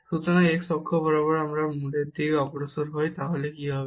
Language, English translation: Bengali, So, along x axis if we move towards the origin, then what will happen